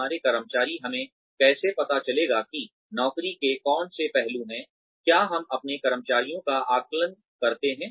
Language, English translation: Hindi, where our employee, how do we come to know that, which aspects of the job, do we assess our employees on